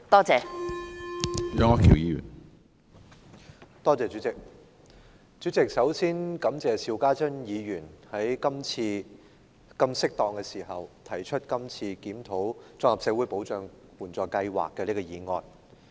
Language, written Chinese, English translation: Cantonese, 主席，首先感謝邵家臻議員今次在這麼適當的時候提出檢討綜合社會保障援助計劃的議案。, First of all President I thank Mr SHIU Ka - chun for proposing the motion on Reviewing the Comprehensive Social Security Assistance CSSA Scheme at such a timely moment as this